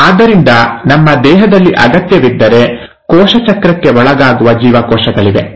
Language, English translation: Kannada, So, there are cells in our body which will undergo cell cycle, if the need arises